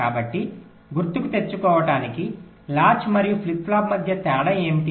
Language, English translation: Telugu, so what is a difference between a latch and a flip flop